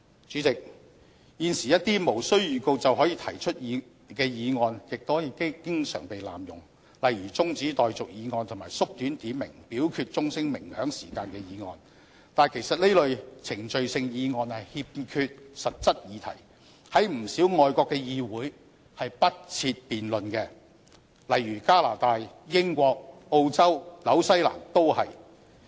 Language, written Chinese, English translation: Cantonese, 主席，現時一些無經預告便可提出的議案亦經常被濫用，例如中止待續議案及縮短點名表決鐘聲鳴響時間的議案，但其實這類程序性議案欠缺實質議題，在不少外國的議會是不設辯論的，例如加拿大、英國、澳洲、新西蘭都是。, President at present motions moved without notice are frequently abused such as adjournment motions and motions to shorten the ringing of the division bell . These procedural motions lack a specific subject matter . Councils in many countries do not provide any time on debating these motions such is the case of Canada the United Kingdom Australia and New Zealand